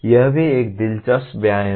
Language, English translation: Hindi, That also is an interesting exercise